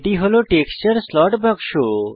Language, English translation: Bengali, This is the texture slot box